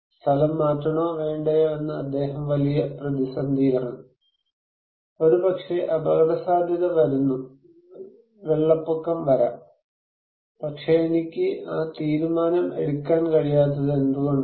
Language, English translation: Malayalam, He is in under great dilemma whether to evacuate or not, maybe risk is coming, maybe flood is coming but I simply cannot make that decision why